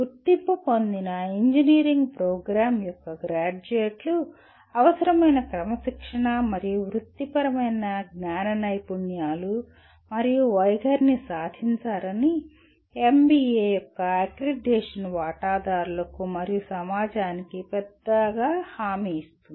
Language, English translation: Telugu, Accreditation by NBA assures the stakeholders and society at large that graduates of the accredited engineering program have attained the required disciplinary and professional knowledge skills and attitudes